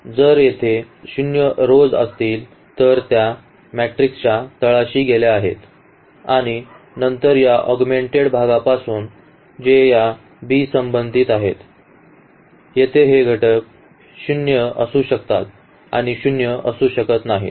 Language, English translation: Marathi, And if there are the zero rows they are they are taken to this bottom of this matrix and then from this augmented part which was correspond to this b here these elements may be 0 and may not be 0